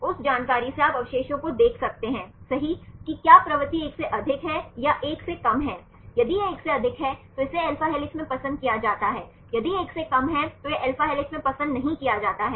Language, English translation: Hindi, From that information you can see the residues right whether the propensity is more than one or less than 1, if it is more than 1 then it is preferred in alpha helix, if less than 1 it is not preferred in alpha helix